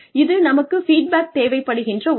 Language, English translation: Tamil, This is something, we need feedback